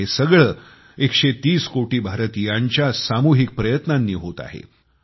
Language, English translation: Marathi, And all this has been possible through the collective efforts of a 130 crore countrymen